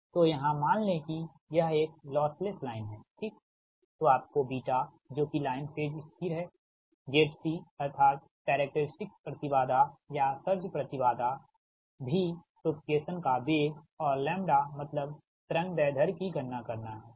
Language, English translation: Hindi, so assume here you assume a loss less line, you have to compute beta, the line beta, that is the line, phase, constant, z, c, that characteristic impedance, or surge impedance, v, velocity of propagation, and lambda, the wave length, right